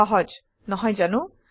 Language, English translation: Assamese, Easy isnt it